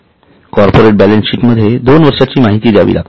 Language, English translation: Marathi, For a corporate balance sheet, two year data is to be given